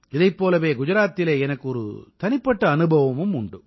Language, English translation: Tamil, I also have had one such personal experience in Gujarat